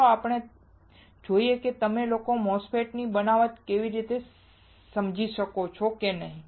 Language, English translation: Gujarati, Let us see whether you guys can understand the fabrication of the MOSFET